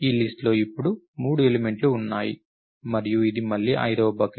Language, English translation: Telugu, There are three elements now in this list and it is again the 5th bucket